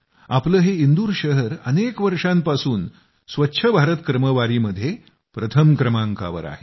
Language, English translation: Marathi, Our Indore has remained at number one in 'Swachh Bharat Ranking' for many years